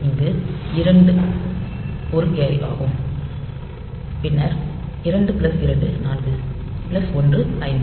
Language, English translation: Tamil, So, 2 1 carry then 2 plus 2 4 plus 1 5 52